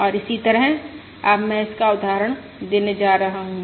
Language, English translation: Hindi, that is what I am going to illustrate now